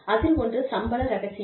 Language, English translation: Tamil, One is pay secrecy